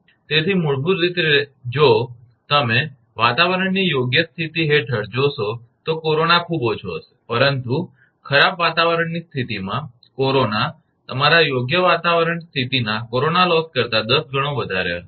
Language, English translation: Gujarati, So, basically if you see under fair weather condition, corona will be very small, but under foul weather condition corona will be very high, as high as 10 times than the corona loss of your fair weather condition